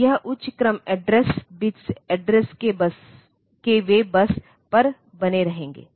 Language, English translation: Hindi, So, this higher order address bits of the address they will remain on the bus